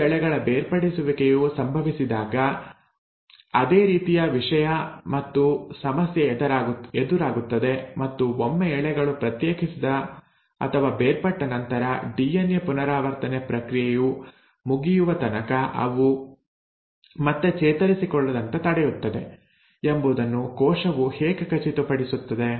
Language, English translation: Kannada, Now the same thing, and same problem one encounters when there is going to be the separation of the 2 strands and how is it that the cell makes sure that once the strands have segregated and separated, they are prevented from recoiling back till the process of DNA replication is over